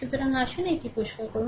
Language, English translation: Bengali, So, let us clear it